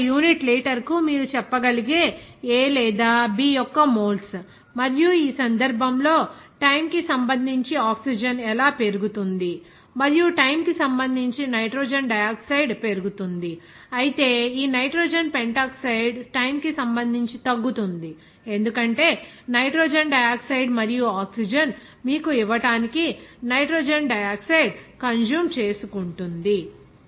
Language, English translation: Telugu, This is here moles of A or B you can say per unit litre and in this case then how oxygen is actually increasing with respect to time and also nitrogen dioxide is increasing with respect to time, whereas this nitrogen pentoxide is decreasing with respect to time because nitrogen dioxide is consuming to give you that generation of nitrogen dioxide and oxygen